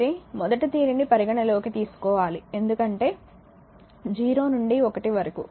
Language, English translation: Telugu, But first you have to consider this because 0 to 1